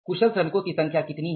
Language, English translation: Hindi, What is a skilled number of workers